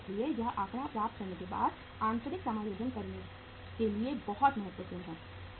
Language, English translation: Hindi, So it is very important to get the to do the internal adjustment after getting this figure